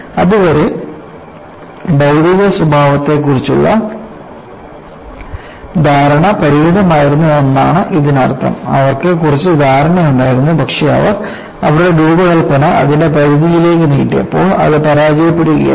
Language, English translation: Malayalam, So, that means the understanding of material behavior until then was limited; they had some understanding, but when they had stretched the design to its limits,it was failure